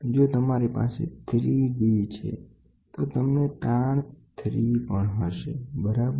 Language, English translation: Gujarati, So, if you have a 3 d one, it is you will have strain 3 also, right